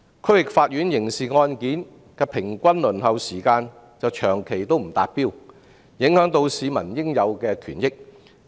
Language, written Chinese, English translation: Cantonese, 區域法院刑事案件的平均輪候時間長期不達標，影響市民應有的權益。, The average waiting time for criminal cases in the District Court has long been failing to meet the target undermining the legitimate interests of the people